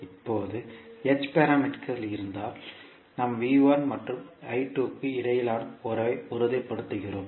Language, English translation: Tamil, Now in case of h parameters we stabilize the relationship between V1 and I2